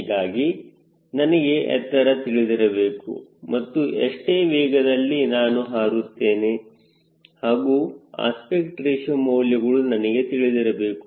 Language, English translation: Kannada, so i need to know the altitude and what speed i am going to fly and then aspect ratio this value is you can take